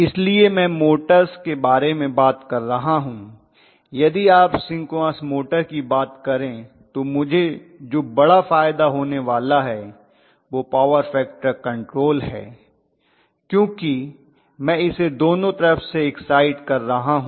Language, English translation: Hindi, So I am talking about motors, if you look at synchronous motors one major advantage I am going to have is power factor control because I am exciting it from both sides